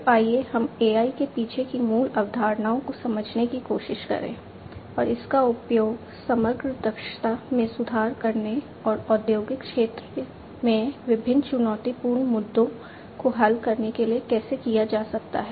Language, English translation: Hindi, So, let us try to understand the basic concepts behind AI and how it can be used to improve the overall efficiency and address different challenging issues in the industrial sector